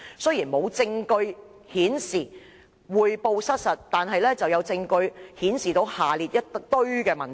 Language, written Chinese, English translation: Cantonese, 雖然並無證據顯示匯報失實，但有證據顯示下列"一大堆的問題。, While there was no evidence of inaccurate reporting there was evidence of the following shortcomings